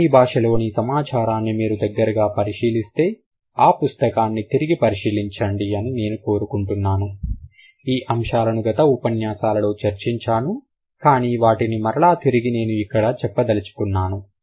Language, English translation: Telugu, So, if you look at a closure view of the data in German, go back to the book, like to the examples I think I discussed in the previous sessions, but then again I am going to repeat it